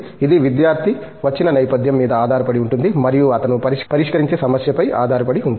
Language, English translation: Telugu, It depends on the background the student comes from and depends on the problem that he is tackling